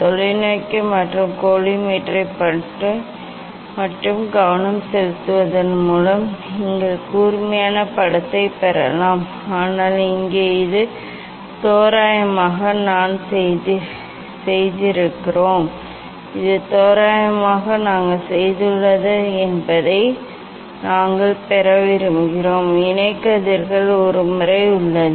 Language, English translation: Tamil, adjusting the just focusing know of the telescope and the collimator, you can get the sharp image, but here this is the approximately we have done this is approximately, we have done, just to see the image basically, but we have to for getting the parallel rays there is a method